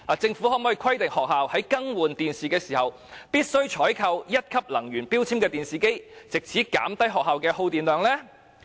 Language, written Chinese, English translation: Cantonese, 政府可否規定學校在更換電視機時，必須採購1級能源標籤的電視機，藉以減低學校的耗電量？, Can the Government require schools to procure TVs with Grade 1 energy labels so as to reduce the schools electricity consumption?